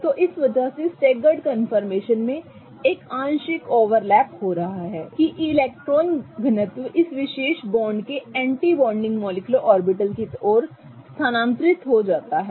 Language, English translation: Hindi, So, because of this in the staggered confirmation, there is a partial overlap happening such that the electron density from this bond kind of gets transferred towards the anti bonding molecular orbital of this particular bond